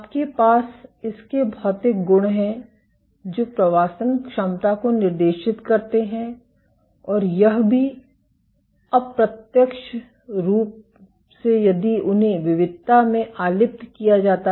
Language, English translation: Hindi, You have its physical properties, which dictate the migration efficiency and also indirectly if they are implicated in heterogeneity